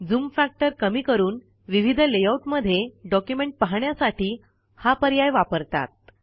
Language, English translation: Marathi, It is used to reduce the zoom factor to see the effects of different view layout settings in the document